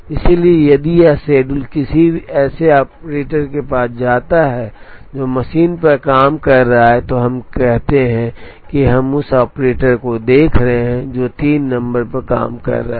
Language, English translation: Hindi, So, if this schedule goes to an operator who is working on a machine, say let us say we are looking at the operator who is working on say M 3